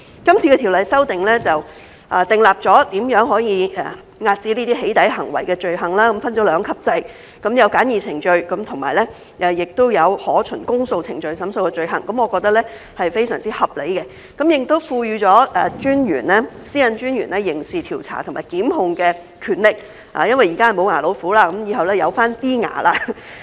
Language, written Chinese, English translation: Cantonese, 這次條例修訂訂立了如何可以遏止"起底"行為的罪行，分了兩級制，有循簡易程序審訊和可循公訴程序審訊的罪行，我認為是非常合理的，亦賦予私隱專員刑事調查和檢控的權力，因為現在是"無牙老虎"，以後便有少許"牙齒"了。, The offences are under a two - tier structure with the first tier a summary offence and the second tier an indictable offence . I think this is very reasonable . It has also provided the Commissioner with the power of criminal investigation and prosecution because the Commissioner is at present just like a toothless tiger but in the future heshe will have a few teeth